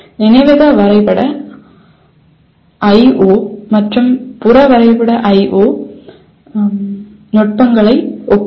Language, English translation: Tamil, Compare the memory mapped I/O and peripheral mapped I/O techniques